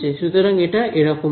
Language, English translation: Bengali, So, it will get like this right